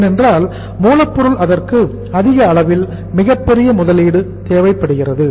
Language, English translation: Tamil, Raw material because it requires the largest amount of investment, biggest amount of investment